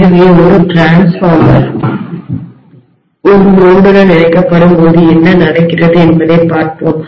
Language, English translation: Tamil, So let us try to now look at what happens when a transformer is connected to a load